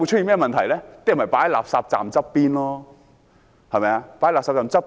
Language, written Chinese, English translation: Cantonese, 人們便會把垃圾放在垃圾站旁邊。, People will then dump the refuse beside the refuse collection point